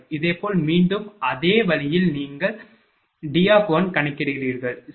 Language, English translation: Tamil, Similarly, again similar way you calculate D1, right